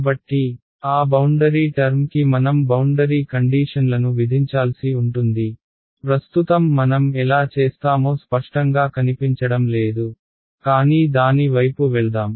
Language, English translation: Telugu, So, that boundary term is where we will get to impose the boundary conditions, right now it does not seen very clear how we will do, but let us go towards it